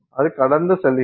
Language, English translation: Tamil, That goes through